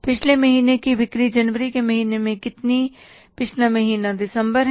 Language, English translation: Hindi, So in the month of January, what was the previous month sales